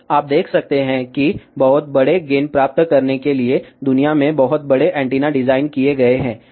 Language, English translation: Hindi, So, you can see here very large antennas have been designed in the world to realize very large gain